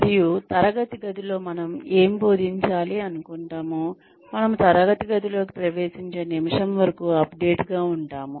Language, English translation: Telugu, And, keep updating, whatever we teach in the classroom, till the minute, we enter the classroom